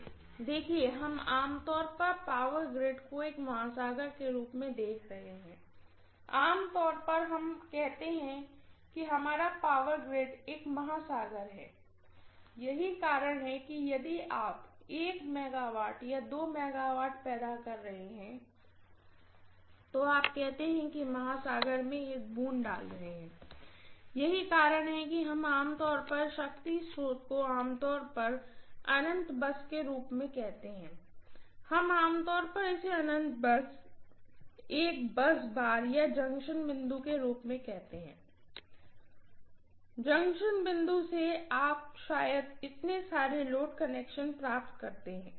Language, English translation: Hindi, (())(27:09) See we are generally looking at the power grid as an oceans, normally we say our power grid is an ocean that is the reason if you are generating only 1 MW or 2 MW you say that you are putting a drop in the ocean, so that is the reason we normally call the power source generally as infinite bus, we generally call this as infinite bus, the bus is, a bus bar or a junction point, from the junction point, you probably derive so many load connections